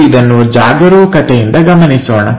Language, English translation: Kannada, Let us carefully look at it